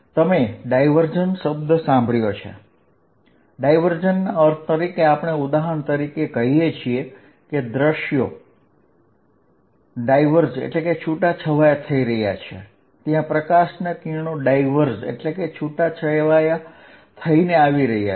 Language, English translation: Gujarati, You heard the word divergent, divergence means we say views are diverging, there is diverging light rays coming